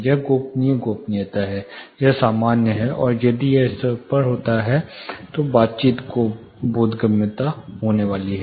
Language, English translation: Hindi, This is confidential privacy this is normal, and if it goes above the conversation is going to be intelligible